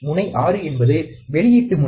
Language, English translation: Tamil, Pin 6 is the output